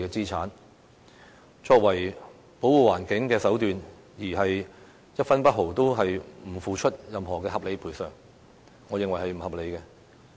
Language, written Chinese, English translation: Cantonese, 以此作為保護環境的手段，但卻不付出一分一毫的合理賠償，我認為是不合理的。, In my view it is unreasonable to conserve the environment this way and refuse to offer a single cent of reasonable compensation